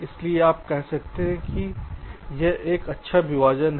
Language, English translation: Hindi, so we can say that this is a good partitions